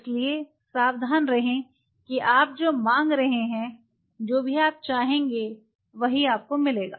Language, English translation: Hindi, So, be careful what you are asking whatever you will ask you will get that